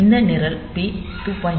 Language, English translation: Tamil, 3 to say that this P2